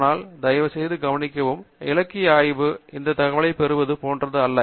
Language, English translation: Tamil, So, please note that literature survey is not the same as googling out the information